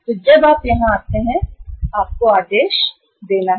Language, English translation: Hindi, So when you come here you have to place the order